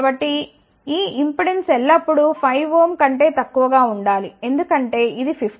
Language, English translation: Telugu, So, this impedance should be always less than 5 ohm, because this is 50